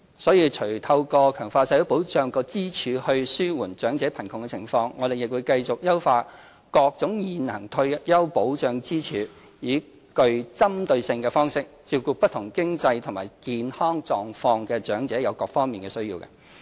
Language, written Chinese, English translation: Cantonese, 所以除透過強化社會保障支柱以紓緩長者貧窮的情況，我們亦會繼續優化各種現行退休保障支柱，以具針對性的方式照顧不同經濟和健康狀況的長者在各個方面的需要。, So on top of enhancing the social security pillar to alleviate elderly poverty we will also keep on optimizing the current pillars of retirement protection and specifically take care of the needs of elderly persons with different financial and health conditions